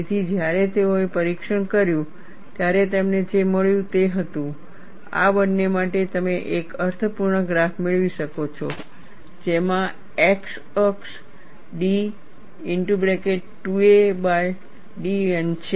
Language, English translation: Gujarati, So, when they performed the test, what they found was, for both of these, you could get a meaningful graph, wherein, the x axis is d 2 a by d N